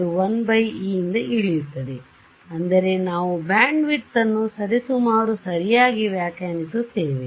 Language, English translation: Kannada, It drops by 1 by e right that is how we define bandwidth roughly right